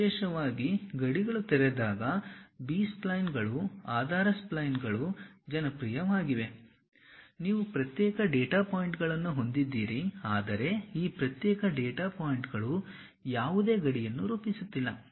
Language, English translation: Kannada, Especially, the B splines the basis splines are popular when boundaries are open, you have discrete data points, but these discrete data points are not forming any boundary